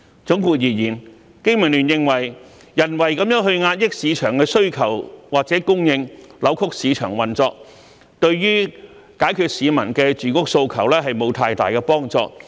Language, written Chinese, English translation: Cantonese, 總括而言，經民聯認為人為地壓抑市場的需求或供應，扭曲市場運作，對解決市民住屋訴求沒有太大幫助。, In conclusion BPA believes that artificially suppressing market demand or supply and distorting market operations will not help much in addressing the housing needs of the public